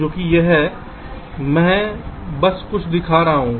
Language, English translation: Hindi, i am just showing a few